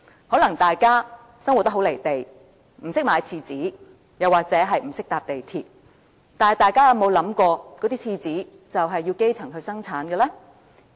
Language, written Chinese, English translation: Cantonese, 可能大家生活得很"離地"，不懂得買廁紙或不懂得乘搭港鐵，但大家有否想過，廁紙是由基層生產的呢？, Someone may be living in her la la land not knowing where to buy toilet rolls or how to take the Mass Transit Railway MTR